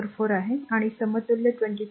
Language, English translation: Marathi, 444 and there equivalent will be 22